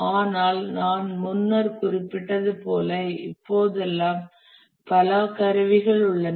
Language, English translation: Tamil, But then as I was mentioning earlier, nowadays there are many tools